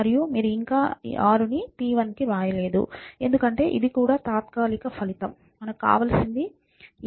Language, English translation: Telugu, So, 2 times 3 is 6 and you cannot right 6 to p 1 yet, because this is also a temporary result, what we really want is a times d plus b times c